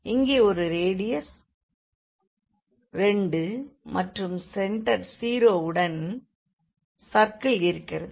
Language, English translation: Tamil, So, there is a circle here of radius this 2, centre 0